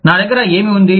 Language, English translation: Telugu, What do i have